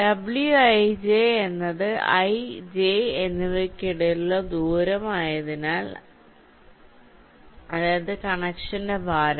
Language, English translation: Malayalam, ij is the number of connections between i and j, that is, the weight of the connection, and d